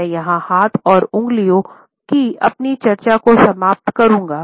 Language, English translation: Hindi, I would conclude my discussion of hands and fingers here